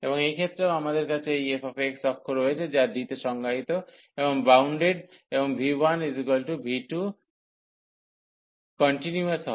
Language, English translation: Bengali, And for this case also, so we have this f 1 access why is defined and bounded and v 1 and v 2 are continuous